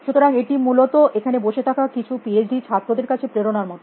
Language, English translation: Bengali, So, which is a kind of a motivation for some of the PhD students setting here essentially